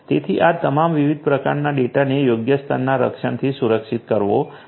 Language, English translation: Gujarati, So, all these types different types of data will have to be protected with suitable levels of protection